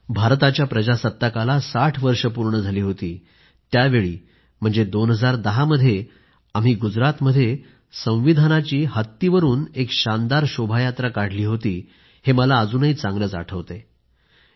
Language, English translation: Marathi, I still remember that in 2010 when 60 years of the adoption of the Constitution were being celebrated, we had taken out a procession by placing our Constitution atop an elephant